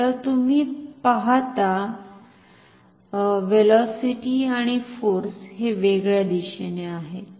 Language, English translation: Marathi, So, you see velocity is and the force they are in opposite direction